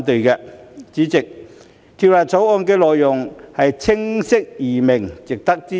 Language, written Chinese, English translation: Cantonese, 代理主席，《條例草案》的內容清晰易明，值得支持。, Deputy President the content of the Bill is clear and easy to understand and is worth our support